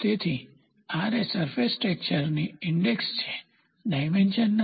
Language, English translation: Gujarati, So, this Ra is an index of surface texture comparison and not a dimension